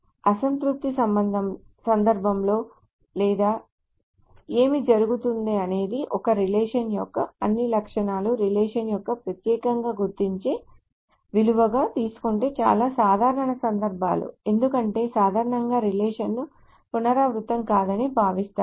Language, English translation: Telugu, So in the worst case or what will happen is the most general case is if one takes all the attributes of a relation that is an uniquely identifying value of the relation because generally relations are considered to be not repeat